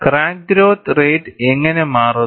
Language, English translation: Malayalam, How does the crack growth rate changes